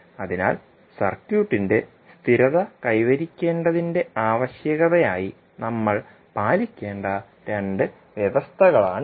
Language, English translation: Malayalam, So these are the two conditions which we have to follow as a requirement for h s to of the circuit to be stable